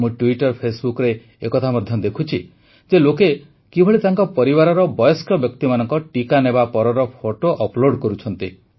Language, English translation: Odia, I am observing on Twitter Facebook how after getting the vaccine for the elderly of their homes people are uploading their pictures